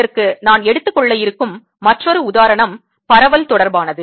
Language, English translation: Tamil, another example of this i am going to take relates to diffusion